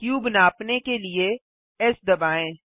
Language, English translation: Hindi, Press S to scale the cube